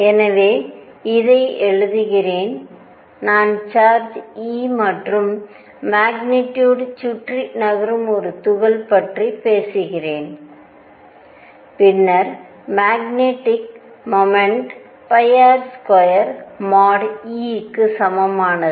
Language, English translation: Tamil, So, let me write this I am talking about a particle moving around charge e magnitude then the magnetic moment is equal to pi R square nu e